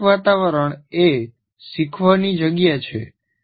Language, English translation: Gujarati, Physical environment actually is the learning spaces